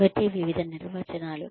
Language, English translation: Telugu, So, various definitions